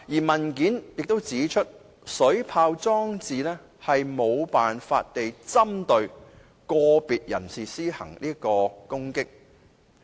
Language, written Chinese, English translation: Cantonese, 文件又指出，水炮裝置無法針對個別人士施行攻擊。, The submission has also pointed out that water cannons cannot target at a particular person